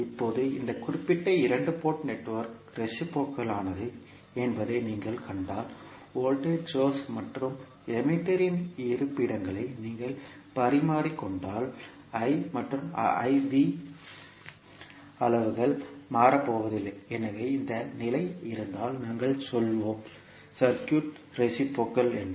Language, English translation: Tamil, Now, if you see that this particular two port network is reciprocal, it means that if you exchange the locations of voltage source and the emitter, the quantities that is I and V are not going to change so if this condition holds we will say that the circuit is reciprocal